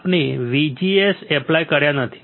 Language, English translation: Gujarati, We have not applied VGS